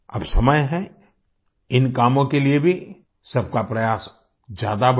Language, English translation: Hindi, Now is the time to increase everyone's efforts for these works as well